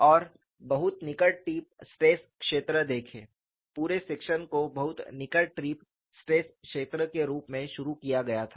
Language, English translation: Hindi, And the very near tip stress field see, the whole section was started as very near tip stress field here